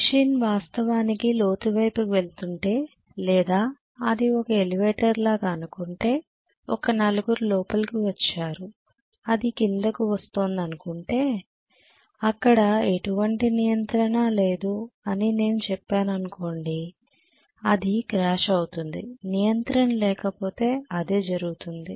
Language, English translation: Telugu, If the machine is actually going downhill, the vehicle is going downhill or if it is like an elevator, 4 people have gotten in, it is coming down there is hardly any control let us say, it will just go crash that is what will happen if I do not have any control